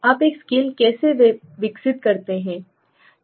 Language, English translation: Hindi, How do you develop a scale